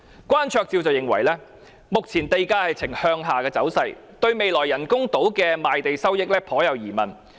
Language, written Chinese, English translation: Cantonese, 關焯照認為，目前地價呈向下走勢，對未來人工島的賣地收益存疑。, Dr Andy KWAN opined that given the current downward trend of land prices he has doubts about the future revenues from sales of land in the artificial islands